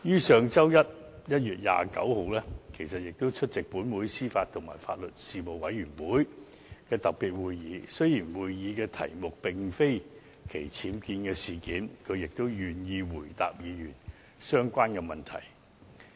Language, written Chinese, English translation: Cantonese, 上周一，她亦出席本會司法及法律事務委員會的特別會議。雖然該次會議的議程並非討論僭建事件，但她也願意回答議員相關的問題。, Last Monday 29 January she attended the special meeting of the Panel on Administration of Justice and Legal Services and though the issue of UBWs was not on the agenda of the meeting she was willing to answer Members questions on this issue